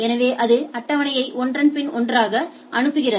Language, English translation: Tamil, So, it goes on forwarding the table one after another right